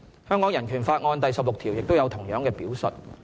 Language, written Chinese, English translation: Cantonese, "香港人權法案"第十六條亦有同樣的表述。, Article 16 of the Hong Kong Bill of Rights Ordinance carries a similar representation